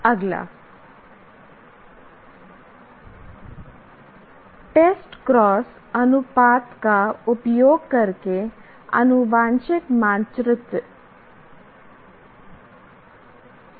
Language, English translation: Hindi, Next one is the genetic map using the test cross ratio